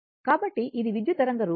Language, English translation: Telugu, So, this is the current waveform